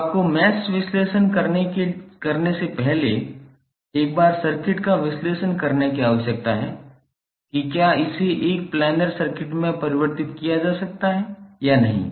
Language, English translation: Hindi, So you need to analyse the circuit once before doing the mesh analysis whether it can be converted into a planar circuit or not